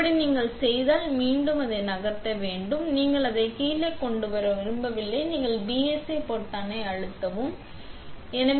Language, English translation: Tamil, Now, if you are done it, you want to move this back up and you do not want to bring it back down, this is where you pressed the BSA button